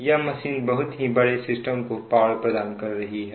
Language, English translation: Hindi, it is supplying power to a very large system